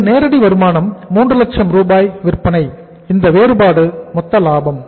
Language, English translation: Tamil, This is direct income 3 lakh sales and this is 3 lakhs sales